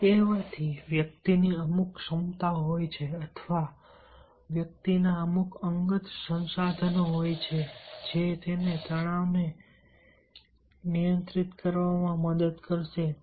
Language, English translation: Gujarati, having said these, there are certain abilities on the part of the individual or certain personal resources on the part of the individual which will help in to control the stress